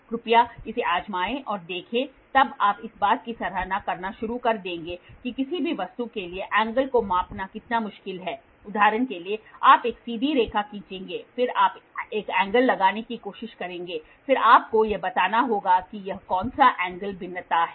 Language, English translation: Hindi, Please try this and see then you will start appreciating how difficult it is to measure the angle for any given object for example, you will draw a straight line, then you will try to put an angle then you will have to tell what angle is this variation, what angle is this variation